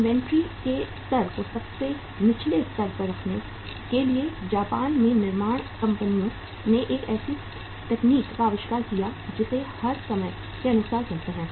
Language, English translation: Hindi, To keep the level of inventory at the lowest level, in Japan manufacturing firms invented a technique which we call as just in time